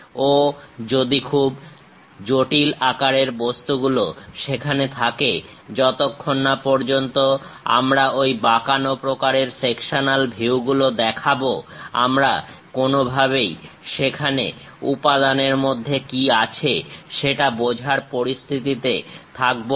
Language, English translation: Bengali, Very complicated objects if they are present; unless we show that bent kind of sectional views we will not be in a position to understand what is there inside of that material